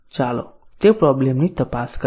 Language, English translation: Gujarati, Let us examine that problem